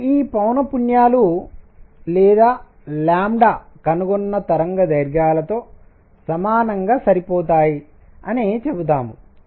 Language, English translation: Telugu, So, let us just say this that the frequencies or lambda equivalently matched with the observed wavelengths